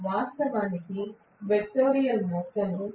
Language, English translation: Telugu, So, this is actually the vectorial sum